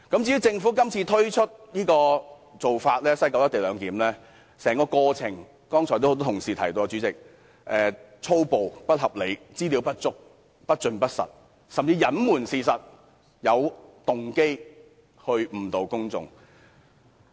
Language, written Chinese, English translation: Cantonese, 至於政府今次提出在西九龍站實施"一地兩檢"的做法，代理主席，剛才多位同事已提過，政府手法粗暴、不合理、資料不足、不盡不實，甚至隱瞞事實，有動機地誤導公眾。, As regards the Governments proposal to implement the co - location arrangement at the West Kowloon Station Deputy President many colleagues have criticized the Government for being high - handed and unreasonable withholding information not giving the full picture or even concealing some of the facts to purposely mislead the public